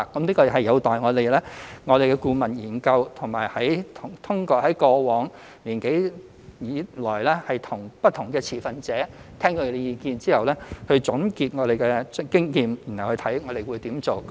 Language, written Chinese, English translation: Cantonese, 這有待顧問研究，以及通過過往一年多以來聽取不同持份者的意見後，總結經驗，然後檢視如何做。, We will consider the way forward upon the completion of the consultancy study and the consolidation of views obtained from different stakeholders in the past year or so